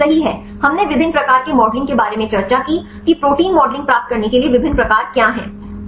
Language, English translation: Hindi, Yes right we discussed about various types of a modeling what are different types of a methods to get the protein modeling